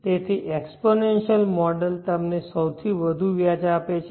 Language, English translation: Gujarati, So exponential model gives you the largest interest